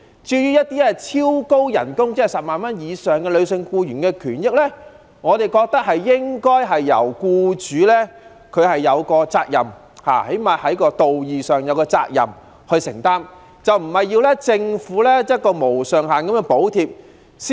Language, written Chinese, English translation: Cantonese, 至於一些超高薪金即月薪10萬元以上的女性僱員，我們覺得僱主最低限度在道義上也有責任承擔，而不是要政府"無上限"地補貼。, As regards those female employees earning super high salaries of more than 100,000 a month we think that their employers should at least take up their moral obligation instead of asking the Government to provide unlimited subsidies